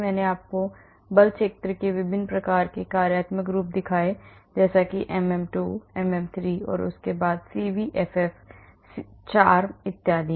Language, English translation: Hindi, I showed you different types of functional forms of force fields; MM2 MM3 and then CVFF CHARM and so on